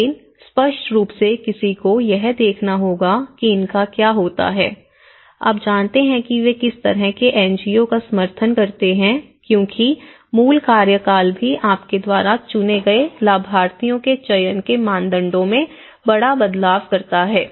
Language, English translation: Hindi, But, obviously one has to look at it obviously, what happens to these you know what kind of NGO support they give because the basic tenure also makes a big difference in the criteria of the selection of the you know, the beneficiaries